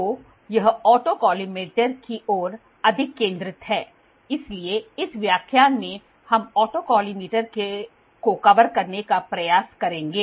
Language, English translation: Hindi, So, this is more focused towards auto collimator, so in this lecture we will try to cover autocollimator